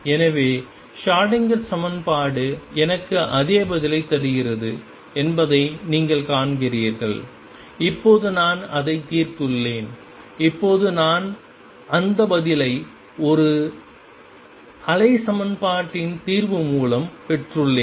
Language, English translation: Tamil, So, you see Schrödinger equation gives me the same answer except, now that I have solved it now I have obtained that answer through the solution of a wave equation